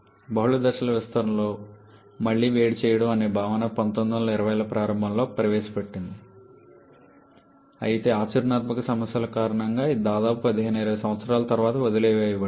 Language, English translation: Telugu, The concept of reheating with multi stage expansion was introduced in early 1920’s but because of practical issues it was abandoned for about 15 20 years